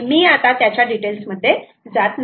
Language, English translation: Marathi, so again, i dont want to get into those details